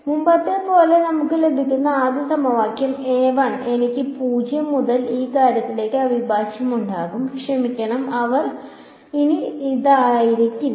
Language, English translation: Malayalam, So, the first equation as before what we will get is I will get a 1 integral from 0 to this thing and I have sorry they will not be this anymore